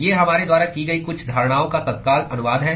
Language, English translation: Hindi, These are the immediate translation of some of the assumptions that we have made